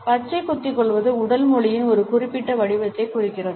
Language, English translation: Tamil, Tattoos represent a specific form of body language